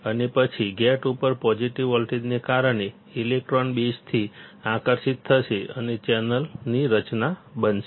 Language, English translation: Gujarati, And then because of the positive voltage at the gate, the electrons will get attracted from the base and there will be formation of channel